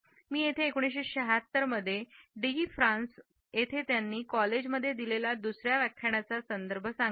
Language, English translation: Marathi, Here, I would refer to his second lecture which he had delivered in College de France in 1976